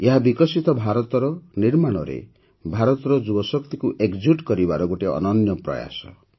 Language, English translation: Odia, This is a unique effort of integrating the youth power of India in building a developed India